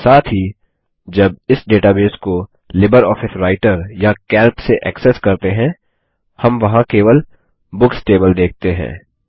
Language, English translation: Hindi, Also, when accessing this database from LibreOffice Writer or Calc, we will only see the Books table there